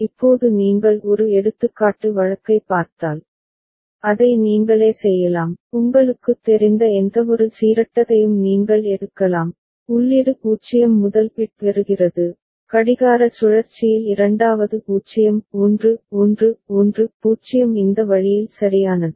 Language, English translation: Tamil, Now if you look at an example case, you can do it yourself, you can take any random you know, input getting 0 first bit, second in the clock cycle 1 0 1 1 0 this way right